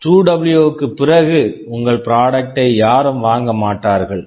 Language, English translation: Tamil, After 2W, no one will be buying your product